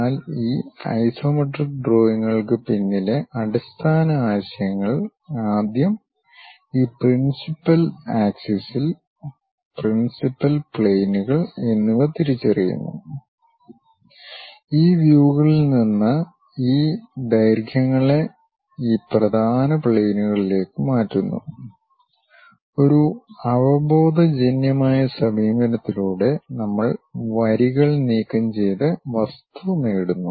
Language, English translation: Malayalam, But the basic concepts behind these isometric drawings are first of all identifying these principal axis, principal planes, suitably transferring these lengths from each of these views onto these principal planes, through intuitive approach we will join remove the lines and get the object